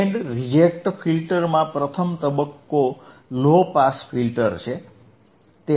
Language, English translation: Gujarati, In Band Reject Filter Band Reject Filter, first stage is low pass filter